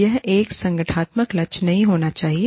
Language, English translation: Hindi, It should not be, a organizational goal